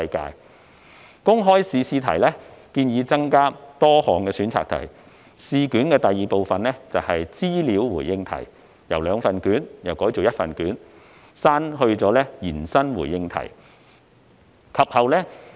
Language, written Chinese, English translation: Cantonese, 根據建議，公開考試的試題會增設多項選擇題，試卷的第二部分是資料回應題，由兩份卷改為一份卷，並刪去延伸回應題。, It is proposed that the public examination will include multiple choice questions whereas Part B will be data - response questions . There will be one paper instead of two and extended - response questions will be removed